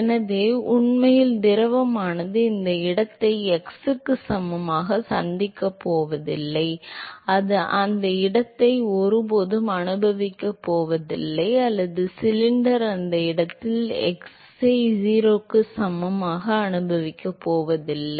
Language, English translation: Tamil, So, really the fluid is never going to encounter this location x equal to 0, it is never going to experience that location or rather the cylinder is never going to experience the fluid at that location x equal to 0